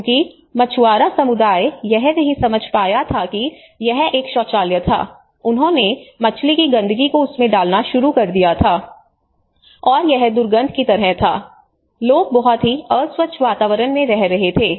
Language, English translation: Hindi, Because the fishermen community what they did was they did not understand it was a toilet and they started putting a whole the fish dirt into that, and it was like foul smell and people are living in a very unhygienic environment